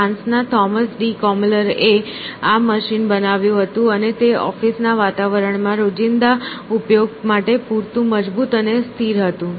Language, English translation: Gujarati, Thomas de Colmar from France, he built this machine and it was strong and steady enough to extend daily use in the office environment essentially